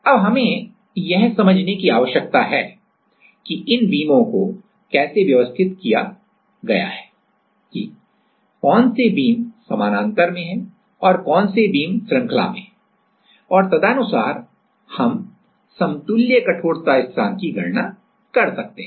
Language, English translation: Hindi, Now, what do we need to understand that how these beams are arranged which beams are in parallel which beams are in series and accordingly we can calculate the equivalent stiffness constant